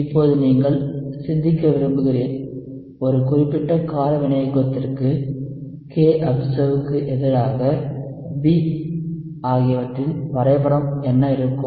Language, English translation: Tamil, So we have already looked at specific acid catalysis, here now we are plotting kobserved versus B